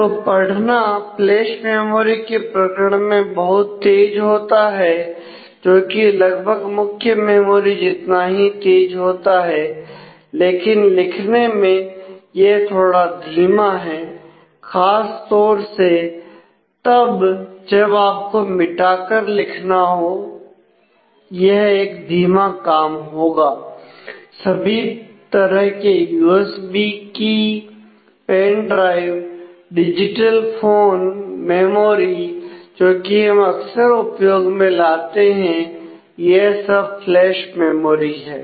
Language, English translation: Hindi, So, the read is very fast in case of flash memory which is almost as fast as a main memory, but writes a slow particularly when you have erase and write it will be a slow process all the kinds of USB keys pen drives digital phone memory that we are often using are actually flash memory